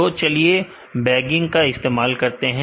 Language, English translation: Hindi, So, let us use bagging